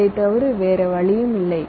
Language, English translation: Tamil, so you do not have any choice